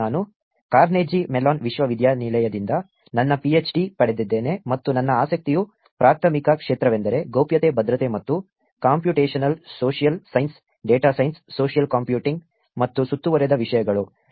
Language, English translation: Kannada, I received my PhD from Carnegie Mellon University and my primary area of interest is Privacy, Security and Computational Social Science, Data Science, Social Computing and topics surrounded